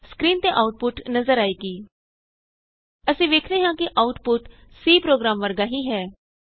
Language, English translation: Punjabi, The output is displayed on the screen: So, we see the output is identical to the C program